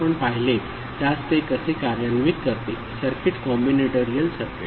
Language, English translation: Marathi, How it implements the one that we had seen the circuit, the combinatorial circuit